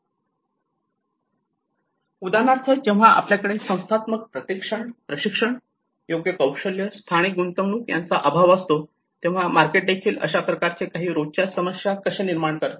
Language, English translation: Marathi, For example, when we have the institutional lack of institutional training, appropriate skills, local investments, even how the markets will also create some kind of everyday issues